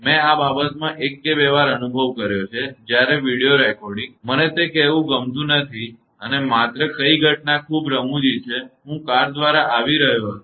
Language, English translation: Gujarati, I also experienced once or twice in this thing that when the video recording; I do not like to tell that and only what incident is very funny that I was coming by car